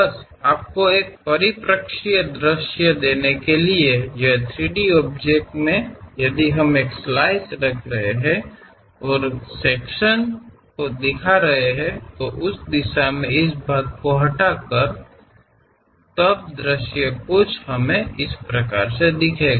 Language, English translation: Hindi, Just to give you a perspective view, this 3 D object if we are having a slice and keeping this section in that direction, removing this part; then the view supposed to be like that